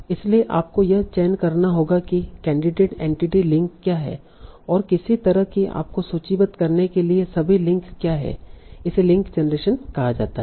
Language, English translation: Hindi, So you have to select what are the candidate entry links and what are the, all the links you have to list somehow